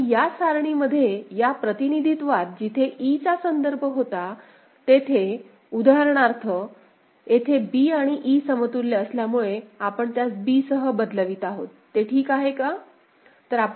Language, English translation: Marathi, And in this table, in this representation wherever a reference of e was there; for example, here since b and e are equivalent, we are replacing it with b; is it fine